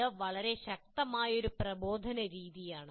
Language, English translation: Malayalam, It's a very, very powerful method of instruction